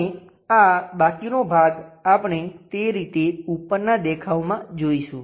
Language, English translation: Gujarati, And this left over portion we will see it in the top view in that way